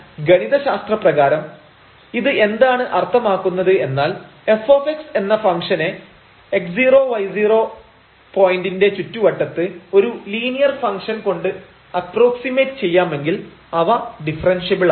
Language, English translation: Malayalam, So, what do we mean by this mathematically that fx, if we can approximate this function in the neighborhood of this x naught y naught point by the linear function